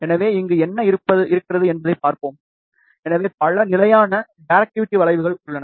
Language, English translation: Tamil, So, let us see what we have here, so we have several constant directivity curves